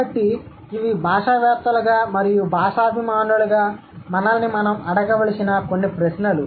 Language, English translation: Telugu, So, these are a few questions that we should ask to ourselves as linguists and language enthusiast